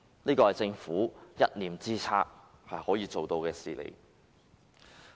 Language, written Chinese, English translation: Cantonese, 這是政府一念之間可以做到的事情。, That was possible if the Government had changed its mind